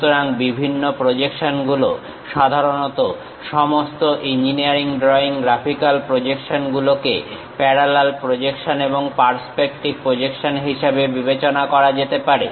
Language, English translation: Bengali, So, the different projections, typically the entire engineering drawing graphical projections can be mentioned as parallel projections and perspective projections